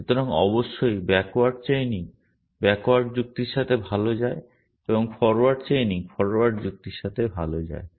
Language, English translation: Bengali, So, by and large of course, backward chaining goes well with backward reasoning and forward chaining goes well with forward reasoning